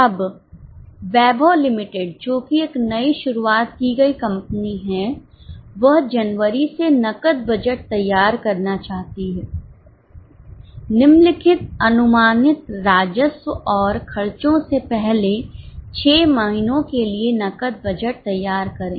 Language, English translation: Hindi, Okay, now Weibha Limited, a newly started company wishes to prepare a cash budget from January, prepare a cash budget for the first six months from the following estimated revenues and expenses